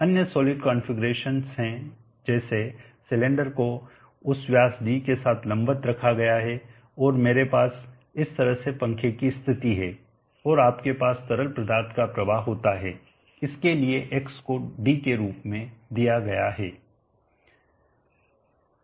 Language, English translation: Hindi, 33 the other solid configuration is the cylindrical kept vertical like this with that diameter of D and I have the fan position in this fashion and you have the continuous fluid flow shown like that x for this is given as D